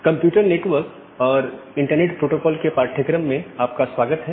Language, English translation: Hindi, Welcome back to the course on Computer Network and Internet Protocol